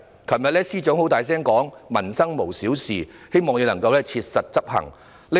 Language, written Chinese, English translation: Cantonese, 政務司司長昨天大聲地說："民生無小事"，希望他能切實執行。, Yesterday the Chief Secretary for Administration said aloud No livelihood issue is too trivial . I hope he can put it into action